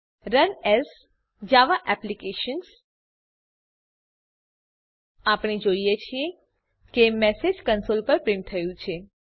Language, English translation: Gujarati, Run as Java applications We see that the message has been printed on the console